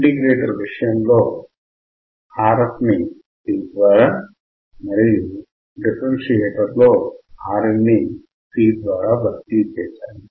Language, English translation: Telugu, In case of integrator we have changed Rf by C; in case of differentiator we have converted Rin by C